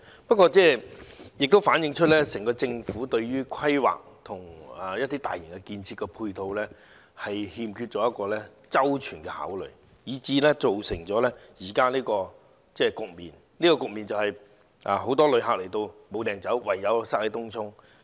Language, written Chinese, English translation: Cantonese, 不過，這也反映出整個政府對於規劃和大型基建配套欠缺周全的考慮，以致造成現時的局面。這個局面便是很多旅客來港後沒地方可去，唯有擠在東涌。, However this reflects the lack of careful consideration of the whole Government in the planning and construction of large - scale infrastructural facilities resulting in the present situation and that is many visitors have nowhere to go after coming to Hong Kong but flock to Tung Chung